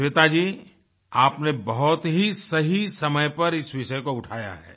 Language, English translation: Hindi, Shveta ji, you have raised this issue at an opportune time